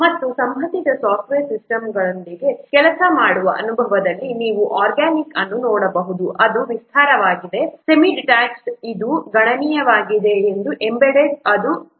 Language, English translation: Kannada, And experience in working with related software systems efficiency, organic is extensive, semi detached it is considerable and embedded it is moderate